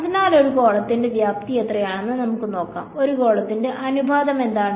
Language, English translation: Malayalam, So, let us look at what is the volume of a let us say take a sphere what is the volume of a sphere proportional to